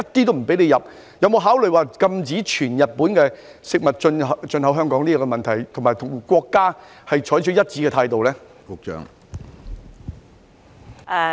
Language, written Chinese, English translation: Cantonese, 請問當局會否考慮全面禁止日本食物進口香港，並與國家採取一致的態度？, Will the authorities consider imposing a total ban on Japanese food imports to Hong Kong and adopt the same stance as our country?